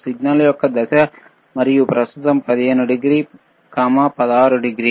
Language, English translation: Telugu, tThe phase of the signal, and right now is 15 degree, 16 degree